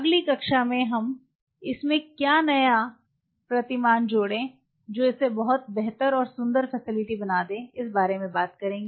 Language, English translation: Hindi, So, new paradigm into this what will make it much better and more beautiful facility